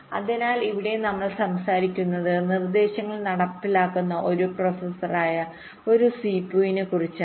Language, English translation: Malayalam, so here we are talking about a cpu, a processor which is executing instructions